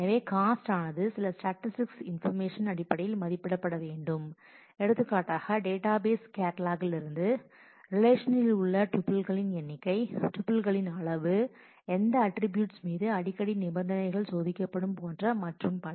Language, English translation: Tamil, So, the cost will have to be estimated based on certain statistical information from the database catalog for example, number of tuples in the relation, the size of the tuples, the attributes on which frequently condition are tested and so, on